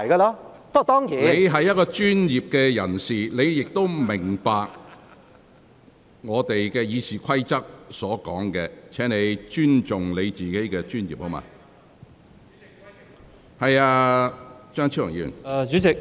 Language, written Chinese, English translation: Cantonese, 你身為專業人士，理應明白《議事規則》的規定，請你尊重自己的專業。, Being a professional you should understand the regulations under the Rules of Procedure . Please respect your profession